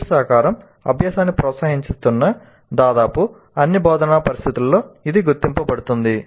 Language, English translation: Telugu, This has been recognized in almost all the instructional situations that peer collaboration promotes learning